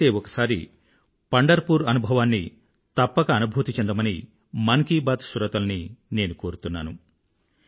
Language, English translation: Telugu, I request the listeners of "Mann Ki Baat" to visit Pandharpur Wari at least once, whenever they get a chance